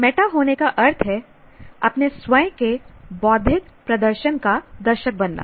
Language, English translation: Hindi, Going meta means becoming an audience for one's own intellectual performance